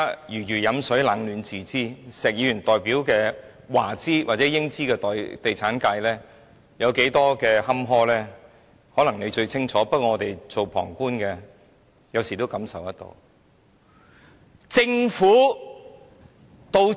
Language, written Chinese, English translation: Cantonese, 如魚飲水，冷暖自知，石議員代表的華資或英資地產界有多坎坷，他最清楚，不過我們身為旁觀者也感受得到。, As the saying goes Only the wearer knows where the shoe pinches . Mr SHEK knows full well the predicament of the Chinese or British property developers that he represents . That said we as onlookers can feel it too